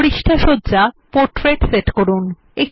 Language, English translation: Bengali, Set the page orientation to Portrait